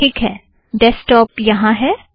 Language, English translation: Hindi, Okay, here is the desktop